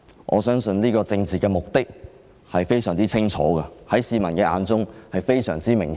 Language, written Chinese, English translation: Cantonese, 我相信政府當局的政治目的，在市民眼中十分清楚和明顯。, I believe that the political objective of the Administration is very clear and obvious to the public